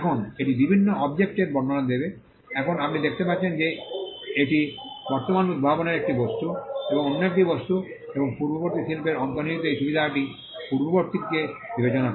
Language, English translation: Bengali, Now, it will describe various objects, now you can see that it is an object of the present invention another object and in view of the foregoing this advantage inherent in the prior art